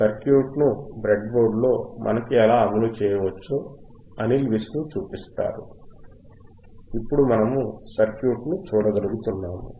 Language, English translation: Telugu, , Llet us welcome Anil Vishnu and he will show us how we can implement the circuit on the breadboard and we will be able to see the circuit